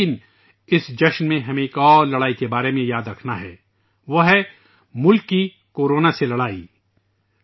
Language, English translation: Urdu, But during this festival we have to remember about one more fight that is the country's fight against Corona